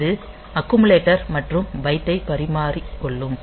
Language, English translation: Tamil, So, it will exchange the accumulator and byte and XCHD